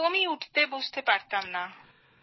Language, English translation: Bengali, Couldn't get up at all